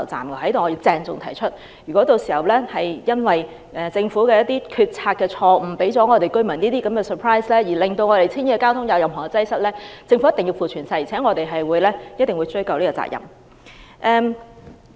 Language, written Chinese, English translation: Cantonese, 我在此要鄭重聲明，如果屆時因為政府決策錯誤，為市民帶來這種 surprise， 導致青衣的交通嚴重擠塞，政府必須負全責，我們亦必定追究政府責任。, Here I have to solemnly state that if the Governments policy blunder has brought surprises to the public resulting in serious traffic congestions in Tsing Yi the Government must bear all consequences and we will also hold the Government responsible for that